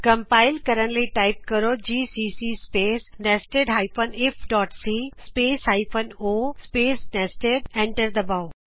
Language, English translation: Punjabi, To execute , Type gcc space nested if.c space hyphen o space nested